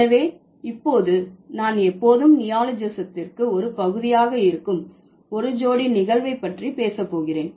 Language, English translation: Tamil, Yeah, so now I'm going to talk about a couple of phenomena which are going to be or which are always a part of neologism